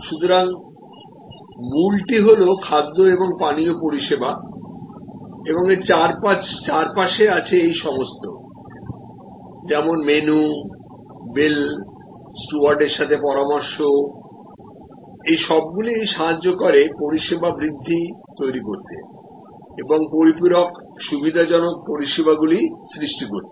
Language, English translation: Bengali, So, the core is food and beverage service and around it or all these whether menu, whether the bill, whether the interaction with steward about suggestions, all those are the enhancing and augmenting services and supplementary facilitating services